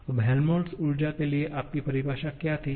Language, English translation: Hindi, Now, what was your definition for Helmholtz energy